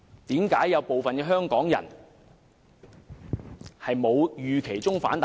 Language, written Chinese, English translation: Cantonese, 為何有部分港人沒有預期中的大反彈呢？, How come some Hong Kong people have not voiced objection as expected?